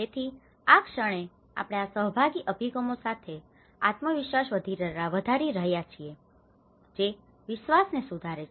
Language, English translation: Gujarati, So, the moment we are increasing the self reliability with these participatory approaches that improves the trust